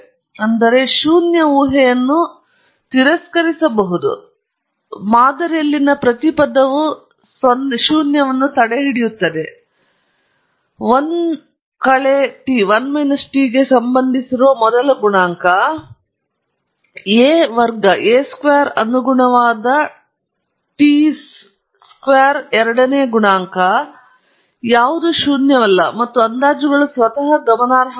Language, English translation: Kannada, That is, we can reject the null hypothesis that each of the terms in my model a 0 intercept, a 1 the first coefficient corresponding to t; a 2 the second coefficient corresponding t square, are all not zero or the estimates themselves are significant